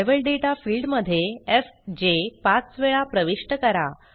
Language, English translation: Marathi, In the Level Data field, enter fj five times